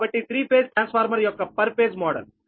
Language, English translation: Telugu, so the per phase model of a three phase transformer